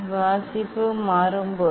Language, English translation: Tamil, when reading will change